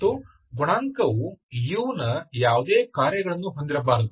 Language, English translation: Kannada, And the coefficient should not have any functions of u